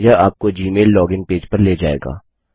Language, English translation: Hindi, This will direct you to the Gmail login page